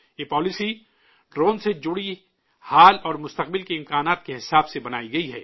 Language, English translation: Urdu, This policy has been formulated according to the present and future prospects related to drones